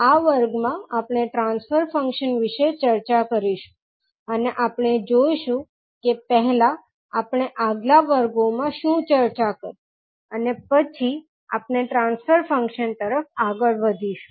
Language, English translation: Gujarati, So, in this class we will discuss about the transfer function and we will see what we discussed in our previous class first and then we will proceed to transfer function